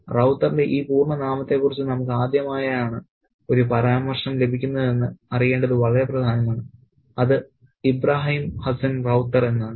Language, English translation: Malayalam, And it's very, very important to know that this is the first time we get a mention of this full name of Rauter, that is Ibrahim Hassan Ravatha